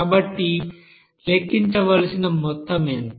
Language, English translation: Telugu, Then what will be the amount